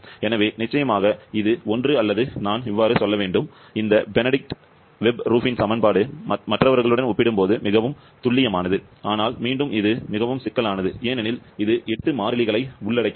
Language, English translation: Tamil, 09% error, so definitely this one or I should say this Benedict Webb Rubin equation of state is much more accurate compared to the others but again that is much more complicated as well because it involves 8 constants for this